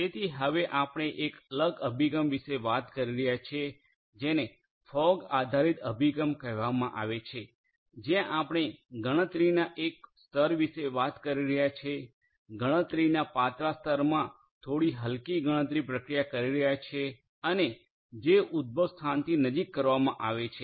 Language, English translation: Gujarati, So, we are now talking about a different approach which is called the fog based approach where we are talking about a layer of computation, a thin layer of computation performing, some lightweight computation processing and so on, which will be done closer to the origination of the data